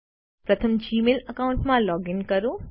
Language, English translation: Gujarati, First, login to the Gmail account